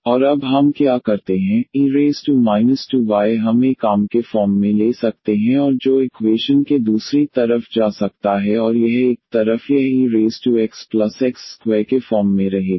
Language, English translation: Hindi, And what we do now, e power minus 2y we can take as a common and that can go to the other side of the equation and this one side it will remain as e power x plus x square